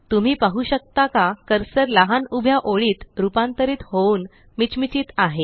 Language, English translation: Marathi, Can you see the cursor has transformed into a small vertical blinking line